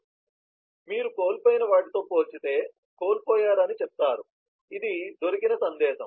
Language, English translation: Telugu, so you say in comparison to lost, this is a found message